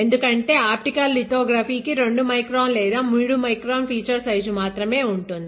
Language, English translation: Telugu, It is because optical lithography can have only fan like 2 up to 2 micron or 3 micron feature size